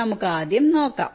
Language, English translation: Malayalam, lets first see